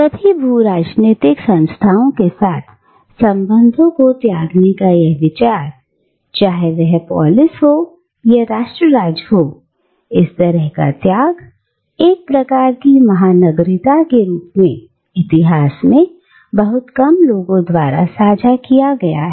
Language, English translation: Hindi, Now, this idea of renouncing the ties with all geopolitical entities, be it a Polis or a nation state, this kind of renunciation, as a kind of cosmopolitanism, has been shared by very few people in history